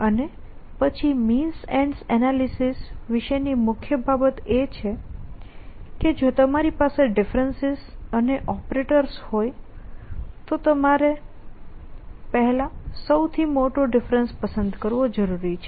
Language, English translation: Gujarati, And then the key thing about means and analysis is at if you have difference is and if you a operators you must choose a largest differences first